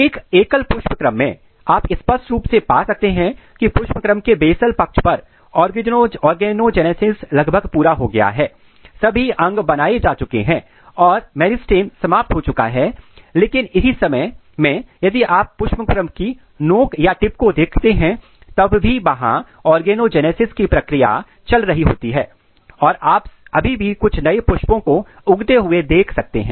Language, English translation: Hindi, So, if you look a single single inflorescence you can clearly find that on the basal side of the inflorescence the organogenesis is almost completed, all the organs are made and the meristems are terminated, but at the same time if you look the tip of the inflorescence still there are the process of organogenesis going on and you can still see some new flowers growing